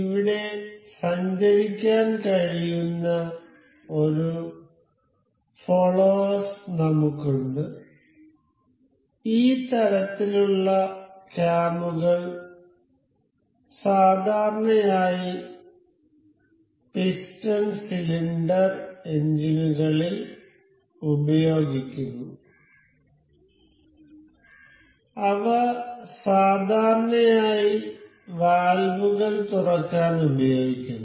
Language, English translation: Malayalam, And we have a follower that can move over here, these type of cams are generally used in piston cylinder engines that is generally used to open valves